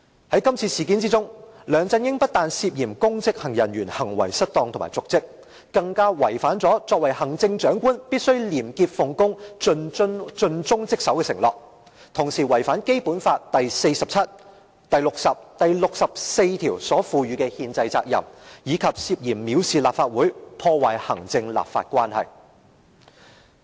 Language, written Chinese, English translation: Cantonese, 在今次事件中，梁振英非但涉嫌公職人員行為失當和瀆職，更違反了行政長官必須廉潔奉公、盡忠職守的承諾，同時亦違反《基本法》第四十七條、第六十條及第六十四條所賦予的憲制責任，以及涉嫌藐視立法會，破壞行政立法關係。, In this incident LEUNG Chun - ying is not only suspected of committing the offence of misconduct in public office and dereliction of duty he also violates the pledge that the Chief Executive should be a person of integrity and dedicated to his duty . He has violated his constitutional duty provided under Articles 47 60 and 64 and he is also suspected of contempt of the Legislative Council and disrupting the executive - legislature relationship